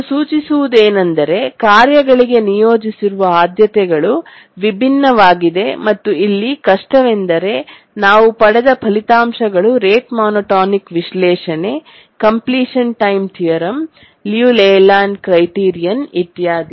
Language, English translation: Kannada, This indicates that the priorities assigned to the tasks are different and the difficulty here is that the results that we got for the rate monotonic analysis that is completion time theorem, liu layland criterion, etc